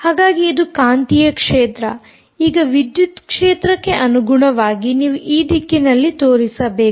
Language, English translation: Kannada, now, with respect to the electric field, you must show it in this direction, right